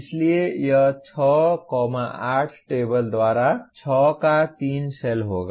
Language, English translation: Hindi, So it will be 3, 2 cell of the 6 by 8 table